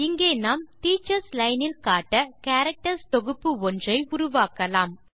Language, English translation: Tamil, Here we create new set of characters that can be displayed in the Teachers Line